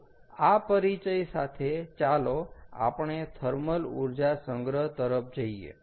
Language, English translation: Gujarati, ok, so first lets write down thermal energy storage